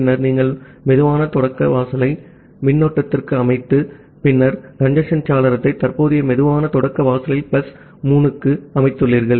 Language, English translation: Tamil, Then you set the slow start threshold to the current, then you set the congestion window to the current slow start threshold plus 3